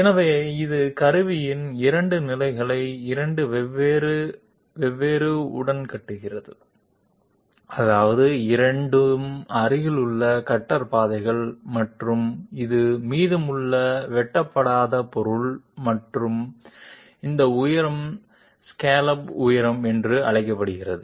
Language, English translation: Tamil, So this shows two positions of the tool along two different I mean two adjacent cutter paths and this is the material which is leftover uncut and this height is called as scallop height